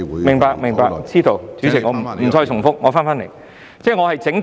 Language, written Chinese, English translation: Cantonese, 明白、知道，主席，我不再重複，我返回這項議題。, I understand that I know President I will not repeat and I will return to this subject